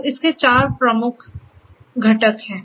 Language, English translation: Hindi, There are four major components